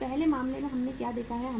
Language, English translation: Hindi, So in the first case what we have seen